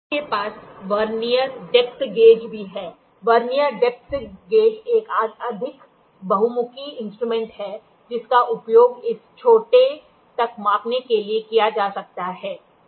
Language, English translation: Hindi, You also have Vernier depth gauge; Vernier depth gauge is a more versatile instrument which can be used for measuring up to this smaller